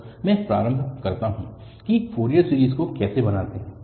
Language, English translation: Hindi, So, let me just begin with how to construct this Fourier series